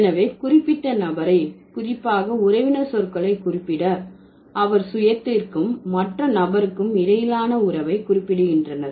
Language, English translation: Tamil, So, to refer a particular person and especially the kin terms, they specify the relation between the self and the other individual